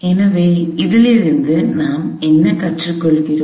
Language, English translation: Tamil, So, what do we learn from this